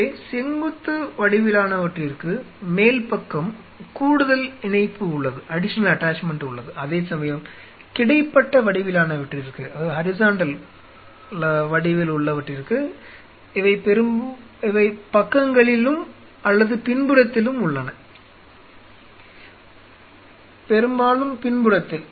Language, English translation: Tamil, So, the vertical once have an additional attachment at the top, where is the horizontal once have on the sites or on the back mostly on the back